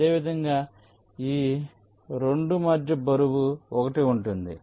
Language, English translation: Telugu, similarly, between these two weight is one